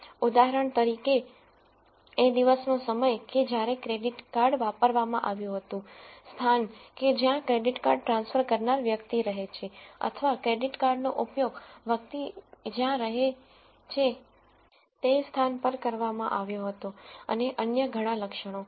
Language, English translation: Gujarati, So, for example, the time of the day whether the credit card was done at, the place where the person lives credit card transfer or credit card use was done at the place the person lives and many other attributes